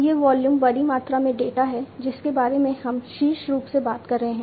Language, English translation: Hindi, This volume is large volumes of data we are topically talking about